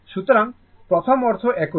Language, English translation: Bengali, So, ultimate meaning is same